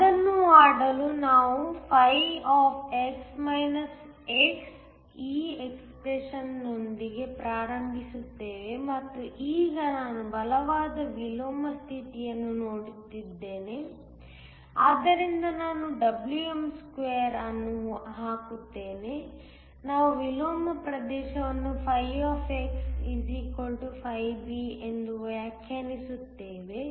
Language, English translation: Kannada, In order do that, we start with this expression φ x and now, I am looking at a condition of strong inversion, so I will put Wm2, we will define the inversion region as where φ = φB